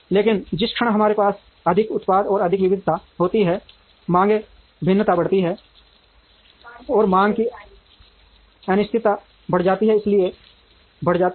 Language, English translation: Hindi, But, the moment we have more products and more variety, the demand variation increases, and the uncertainty in the demand, therefore increases